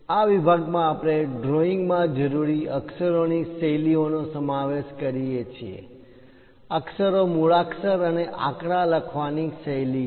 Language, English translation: Gujarati, In this section, we cover what are the lettering styles involved for drawing; lettering is the style of writing alphabets and numerals